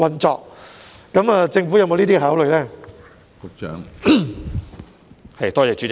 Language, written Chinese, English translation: Cantonese, 政府有否考慮這樣做？, Will the Government consider doing so?